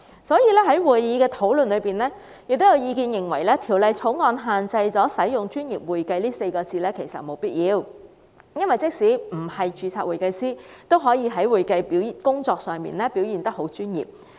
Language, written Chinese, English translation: Cantonese, 所以，法案委員會進行討論時，亦有意見認為《條例草案》沒有必要限制使用"專業會計"這稱謂，因為即使不是註冊會計師，也可以在會計工作上表現得很專業。, During the discussions at the Bills Committee members opined that there was no need to restrict the use of the description professional accounting because people who are not certified public accountants can also perform accounting duties professionally